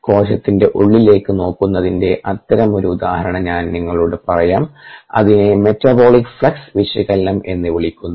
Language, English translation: Malayalam, uh, it will looking inside the cell and that is called metabolic flux analysis